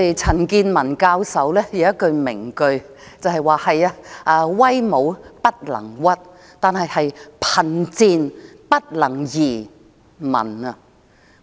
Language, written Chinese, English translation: Cantonese, 陳健民教授有一句名句，就是"威武不能屈，貧賤不能移民"。, Prof CHAN Kin - man has a catchphrase Do not yield to force; do not emigrate because of poverty